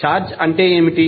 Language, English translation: Telugu, What is charge